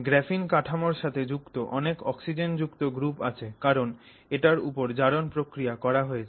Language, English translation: Bengali, You have lot of oxygen containing groups which have now attached themselves to the graphene structure because of the way in which you have done the oxidation process